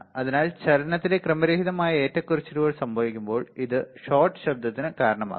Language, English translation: Malayalam, So, what happens that when there random fluctuation in the motion, this will cause the shot noise